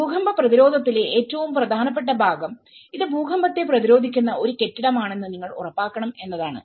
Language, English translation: Malayalam, The most important part in earthquake resistance is you have to ensure that this is going to be an earthquake resistant building